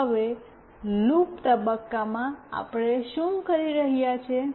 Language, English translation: Gujarati, Now, in the loop phase, what we are doing